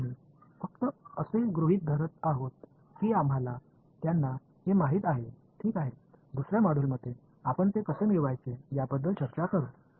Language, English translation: Marathi, So, we are just assuming that we know them ok, in another module we will talk about how to derive them